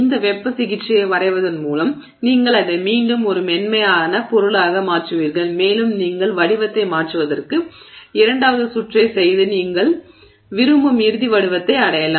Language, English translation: Tamil, By doing this heat treatment you once again make it a softer material and you can do second round of you know changing of shape and get yourself to the final shape that you want